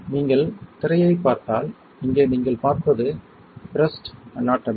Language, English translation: Tamil, If you see the screen what you what you see here is the Breast Anatomy